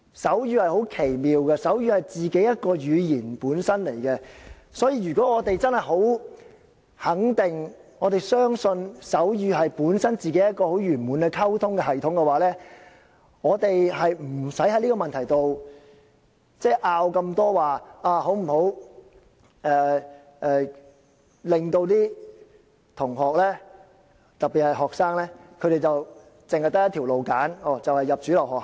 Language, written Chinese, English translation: Cantonese, 手語是很奇妙的，它本身是一種語言，如果我們真的很肯定、相信手語本身是一個很完滿的溝通系統的話，我們就不用在這個問題上有這麼多爭拗，說應否讓學生只可選擇一種途徑，就是入讀主流學校。, Sign language is very amazing and is a language itself . If we are very sure and believe that sign language is a complete communication system of itself it is unnecessary for us to argue so much on this subject including whether there should only be one option for these students which is studying in mainstream schools